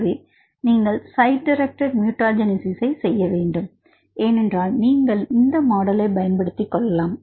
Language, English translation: Tamil, So, you want to do site directed mutagenesis studies this model you can use